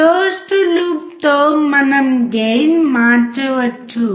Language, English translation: Telugu, With closed loop we can change the gain